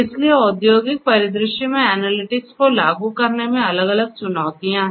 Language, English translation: Hindi, So, there are different challenges in implementing analytics in an industrial scenario